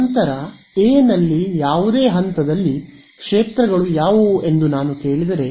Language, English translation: Kannada, Then, if I ask you what are the fields at any point on A